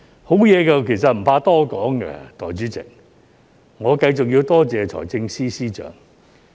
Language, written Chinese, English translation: Cantonese, 好的事情其實不怕多說，代理主席，我繼續要多謝財政司司長。, Actually good things should be talked about more often Deputy President . I must continue to thank the Financial Secretary